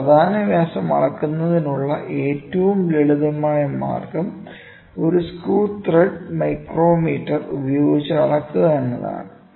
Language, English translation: Malayalam, The simplest way of measuring a major diameter is to measure it using a screw thread micrometer